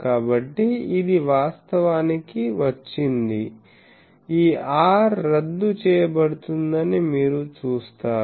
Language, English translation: Telugu, So, this is then got actually you will see that this r will get cancelled